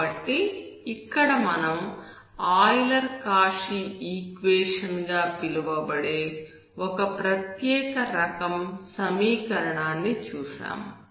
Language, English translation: Telugu, So we have seen here, a special type of equation called Euler Cauchy type equation